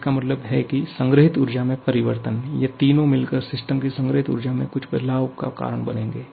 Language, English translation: Hindi, That means that change in the stored energy, these three together will cause some change in the stored energy of the system